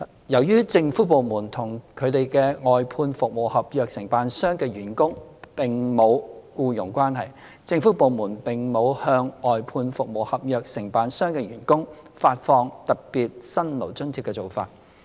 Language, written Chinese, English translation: Cantonese, 由於政府部門與其外判服務合約承辦商的員工並無僱傭關係，政府部門並無向外判服務合約承辦商的員工發放特別辛勞津貼的做法。, As there is no employment relationship between the Government and employees of outsourced service contractors the Government does not have the practice of granting a special hardship allowance to these workers